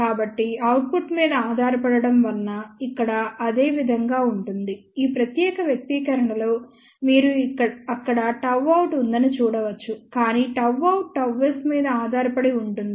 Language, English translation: Telugu, So, somehow dependence of output is coming over here similarly, in this particular expression you can see there is a gamma out here, but gamma out depends upon gamma s